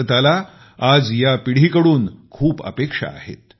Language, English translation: Marathi, Today, India eagerly awaits this generation expectantly